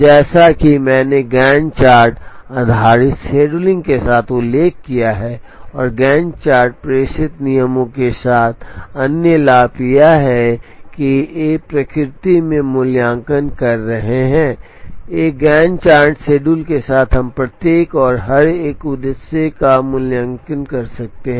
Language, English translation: Hindi, The other advantage as I have mentioned with the Gantt chart based scheduling, and the Gantt chart based dispatching rule is that these are evaluative in nature, with a single Gantt chart schedule, we can evaluate each and every one of the objectives